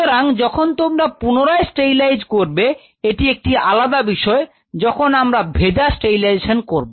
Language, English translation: Bengali, So, while you are working you can re sterilize, but there is a difference this is where you have a wet sterilization